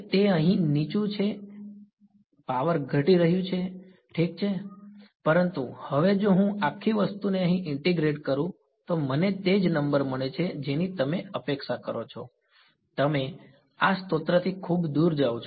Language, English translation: Gujarati, So, its low over here it's even low over here the power is dropping that is ok, but now if I integrate over this whole thing over here I get the same number that is what you expect right you go far away from this source the field intensity drops